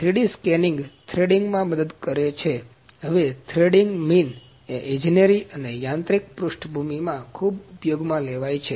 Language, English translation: Gujarati, The 3D scanning helps the threading now the threading mean is a very used in engineering and mechanical background